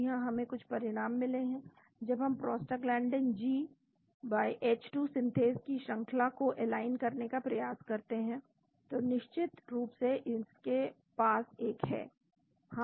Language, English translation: Hindi, Yes, we got some results here, when we try to align the sequence of prostaglandin g/h 2 synthase of course it own one